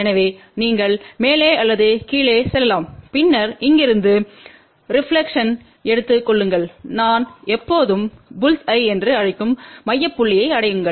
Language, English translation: Tamil, So, you can go either up or down and then from here take the reflection and then reach to the center point which I always call bulls eye